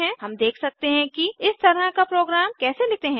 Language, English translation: Hindi, Let us see how to write such a program